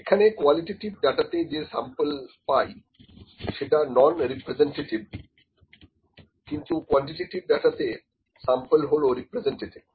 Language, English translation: Bengali, The sample here in the qualitative data is a non representative, in the quantitative data the sample is representative